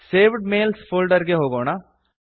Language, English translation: Kannada, Lets go to the Saved Mails folder